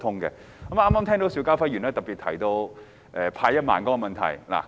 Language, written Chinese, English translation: Cantonese, 我剛才聽到邵家輝議員特別提到派發1萬元的問題。, Just now I heard Mr SHIU Ka - fai mention particularly the distribution of the 10,000 handout